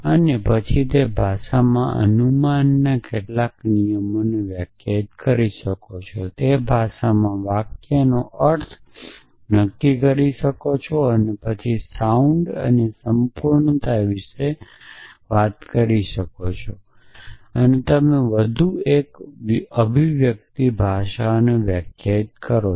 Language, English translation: Gujarati, And then define some rules of inference in that language define a meaning of sentence in that language and then talk about soundness and completeness and as you define more and more expressive languages